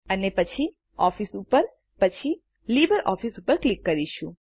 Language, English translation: Gujarati, And then click on Office and then on LibreOffice